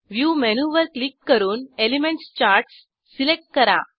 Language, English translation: Marathi, Click on View menu, select Elements Charts